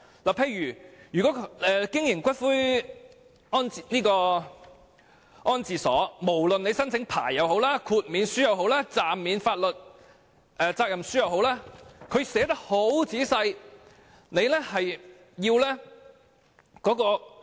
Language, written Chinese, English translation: Cantonese, 例如，就經營骨灰安置所的規定，無論在申請牌照、豁免書或暫免法律責任書方面，政府都撰寫得相當仔細。, For example in respect of the provisions on the operation of columbaria the Government has stipulated detailed provisions on the application for licences exemption or a temporary suspension of liability